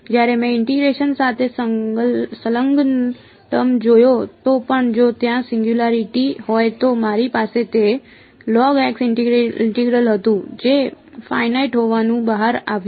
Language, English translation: Gujarati, When I looked at the term involving integral of g 1 even if there was a singularity I had it was the integral of log x that turned out to be finite